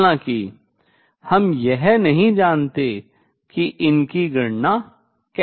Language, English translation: Hindi, However, we do not know how to calculate it